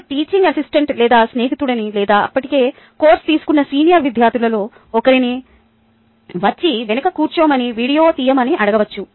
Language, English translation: Telugu, you could ask either a teaching assistant or a friend or one of the senior students whose already taken the course to come and sit at the back